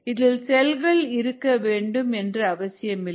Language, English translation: Tamil, this need not even contain any cells